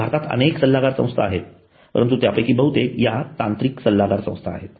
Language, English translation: Marathi, There are so many consulting services firms in India, but most of them are technical consultancy firms